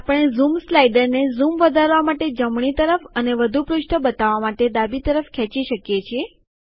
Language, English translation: Gujarati, We can also drag the Zoom slider to the right to zoom into a page or to the left to show more pages